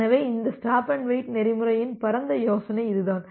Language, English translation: Tamil, So, that is the broad idea of this stop and wait protocol